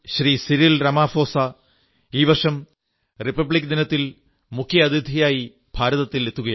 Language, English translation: Malayalam, Cyril Ramaphosa is going to grace the Republic Day celebrations as chief guest